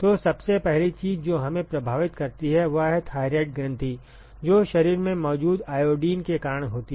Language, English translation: Hindi, So, so the first thing one of the first things that get us affected is the thyroid gland that is because, the iodine which is present in the body